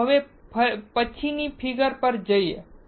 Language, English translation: Gujarati, Let us go to next figure